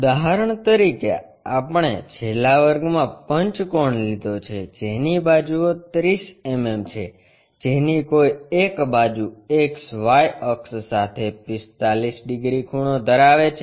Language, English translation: Gujarati, For example, we have taken a pentagon in the last class which is of 30 mm sides with one of the side is 45 degrees inclined to XY axis